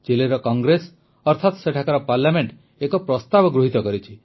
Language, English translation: Odia, The Chilean Congress, that is their Parliament, has passed a proposal